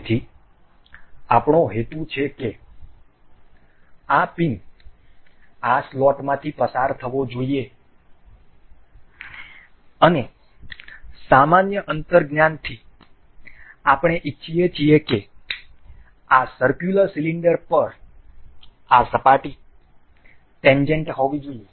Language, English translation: Gujarati, So, what we intend is this pin is supposed to move through this lot, and from a general intuition we can we wish that this particular surface is supposed to be tangent on this circular cylinder